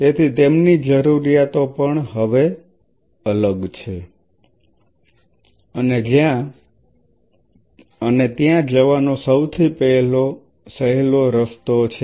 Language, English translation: Gujarati, So, their requirements are also different now one of the easiest ways to go for it is